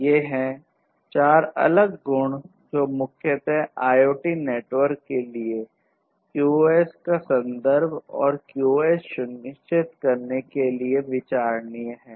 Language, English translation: Hindi, These are the 4 different attributes which are of prime consideration in the context of QoS and using and ensuring QoS for IoT networks